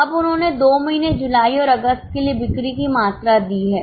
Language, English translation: Hindi, Now they have given the sales volume for two months July and August